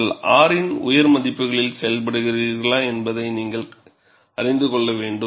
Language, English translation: Tamil, You have to know, whether you are operating at higher values of R